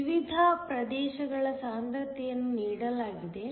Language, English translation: Kannada, So, the concentrations of the different regions are given